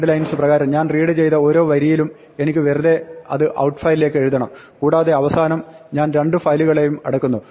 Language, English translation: Malayalam, So, for each line that I read from the list infile dot readlines I just write it to outfile and finally, I close both the files